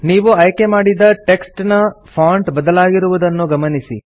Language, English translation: Kannada, You see that the font of the selected text changes